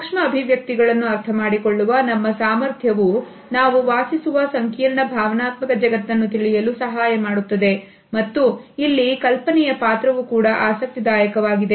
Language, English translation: Kannada, We can say that our capability to understand micro expressions help us to understand the complex emotional world we live in and here is an interesting discussion of this idea